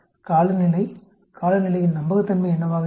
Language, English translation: Tamil, Climate, what will be reliability of the climate